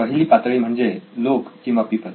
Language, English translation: Marathi, The first stage is people